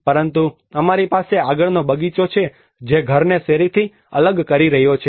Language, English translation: Gujarati, But because of we have the front garden which is detaching the house from the street